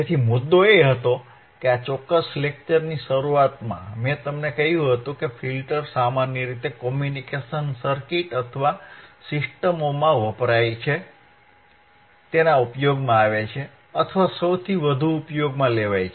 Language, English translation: Gujarati, So, the point was that, in the starting of the this particular filters lecture, I told you that the filters are generally used or most widely used in the communication circuits in the communication or systems alright ok